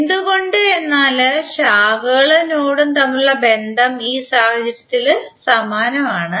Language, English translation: Malayalam, Why because relationship between branches and node is identical in this case